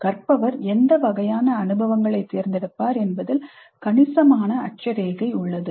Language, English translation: Tamil, There is considerable latitude in what kind of experiences are chosen by the learner